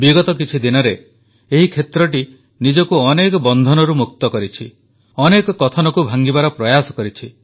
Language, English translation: Odia, In the recent past, these areas have liberated themselves from many restrictions and tried to break free from many myths